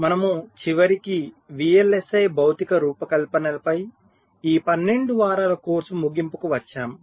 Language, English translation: Telugu, so we have at last come to the end of this twelfth week long course on vlsi physical design